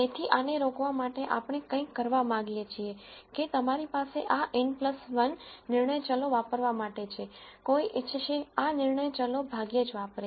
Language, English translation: Gujarati, So, to prevent this what we want to do is somehow we want to say though you have this n plus 1 decision variables to use, one would want these decision variables to be used sparingly